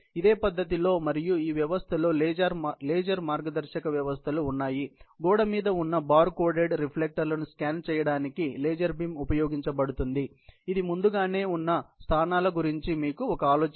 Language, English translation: Telugu, There are laser guidance systems in a similar manner and in this system, laser beam is used to scan on wall mounted bar coded reflectors, gives you an idea of the positions they are accurately located earlier